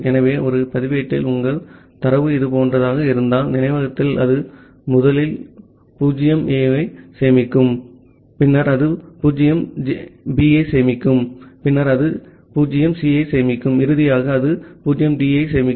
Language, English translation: Tamil, So, in a register if your data is something like this, in the memory it will first store 0A, then it will store 0B, then it will store 0C and finally, it will store 0D